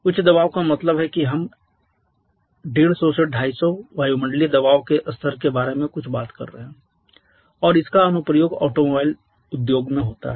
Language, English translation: Hindi, High pressure means we are talking about something in the level of say 150 to 250 atmospheric pressure level and it has application in automobile industries